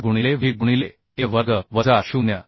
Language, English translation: Marathi, 5 into w into a square minus 0